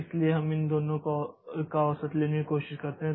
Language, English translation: Hindi, So, we try to take an average of these two